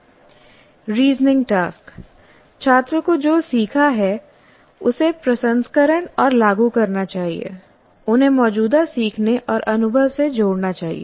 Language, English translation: Hindi, Here the student must process and apply what they have learned, linking it with the existing learning and experience